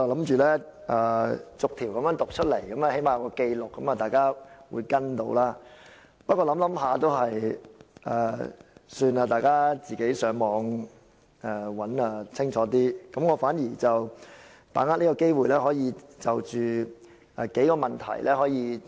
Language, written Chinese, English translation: Cantonese, 本來我打算逐項建議讀出來，最低限度有所記錄，讓大家可以跟隨，不過還是算了，大家自行上網查閱會更清楚，我想把握這個機會討論數個問題。, I originally planned to read out the proposed amendments one by one to at least put them on record for people to follow but I changed my mind . People can read them online which is a better way to do so . I wish to take this opportunity to discuss a few issues